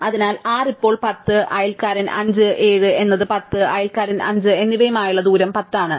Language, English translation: Malayalam, So, 6 is now distance 10 with neighbour 5, 7 is also is distance 10 with neighbour 5